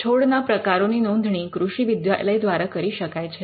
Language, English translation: Gujarati, Plant varieties could be registered specially by agricultural universities